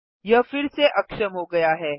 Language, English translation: Hindi, It is enabled again